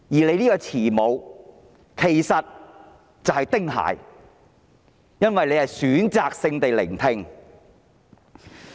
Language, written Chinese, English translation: Cantonese, 你這位慈母其實是丁蟹，因為你選擇性地聆聽。, You consider yourself a loving mother but you are actually TING Hai because you choose to listen to views selectively